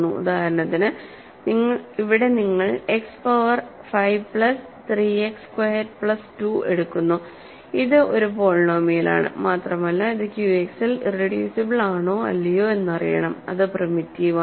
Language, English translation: Malayalam, For example, here you take X power 5 plus 3 X squared plus 2 this is a polynomial and you want to know it is irreducible or not because it is primitive if it is irreducible in Q X its irreducible in Z X